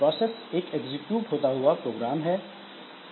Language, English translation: Hindi, A process is a program in execution